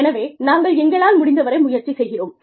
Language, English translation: Tamil, So, we are trying our best, and we are working towards it